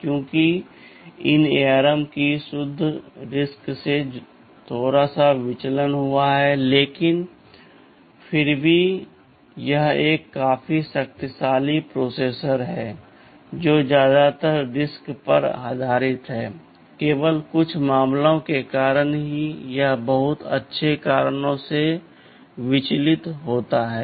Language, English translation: Hindi, Because of these so ARM has deviated slightly from the pure RISC you can say category, but still it is a fairly powerful processor mostly based on riscRISC, only for a few cases it deviates because of very good reasons of course